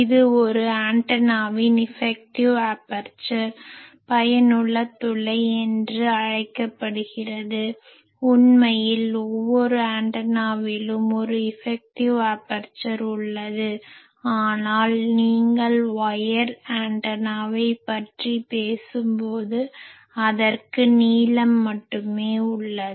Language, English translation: Tamil, This is called Effective Aperture of an Antenna, actually every antenna has an effective aperture, but you see that when we talk of wire antenna, we say that I really that has only a length